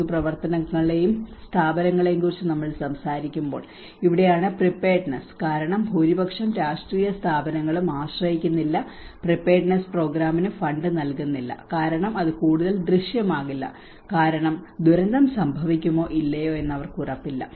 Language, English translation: Malayalam, And when we talk about the public actions and institutions, this is where the preparedness because majority of the political institutions they do not rely on, they do not fund for the preparedness program because that is not much visible because they are not sure whether disaster is going to happen or not